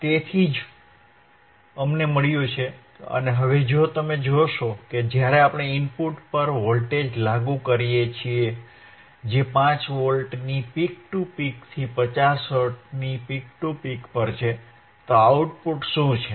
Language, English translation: Gujarati, So, that is what we have found and now if you see that when we apply a voltage apply a voltage at the input right apply the voltage at the input, which is 5 Volts peak to peak at 50 Hertz, then what is the output